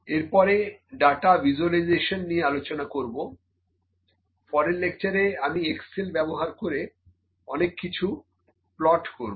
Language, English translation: Bengali, So, I will discuss about data visualization, in the next part of this lecture then I will use Excel to plot something